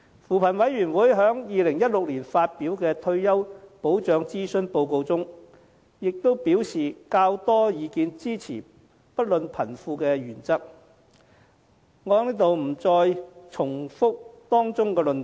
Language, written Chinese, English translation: Cantonese, 扶貧委員會在2016年發表的退休保障諮詢報告中亦表示較多意見支持"不論貧富"的原則，我不在此重複當中的論點。, The Commission on Poverty also indicated in its consultation report on retirement protection released in 2016 that a larger number of opinions supported the regardless of rich or poor principle and I will not repeat its arguments here